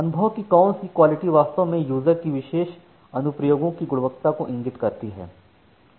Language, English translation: Hindi, The, what term quality of experience actually indicates the users perceived quality of particular applications